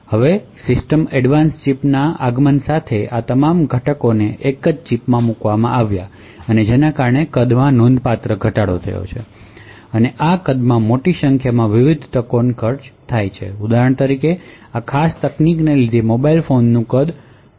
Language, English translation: Gujarati, Now with the advent of the System on Chip and lot of all of this components put into a single chip the size has reduced considerably and this size actually cost a large number of different opportunities for example the size of mobile phones etc